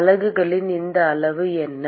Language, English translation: Tamil, So, what are the units of this quantity